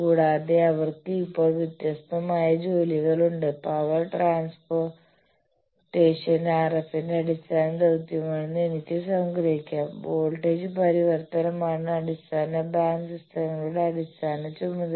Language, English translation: Malayalam, And also they have different tasks by now, I can summarize that power transportation is the basic task for RF whereas; voltage transformation is the basic task for our base band systems